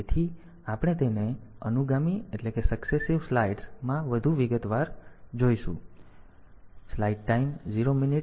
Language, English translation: Gujarati, So, we will see it in more detail in the successive slides